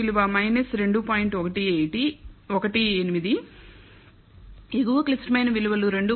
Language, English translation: Telugu, 18, the upper critical values 2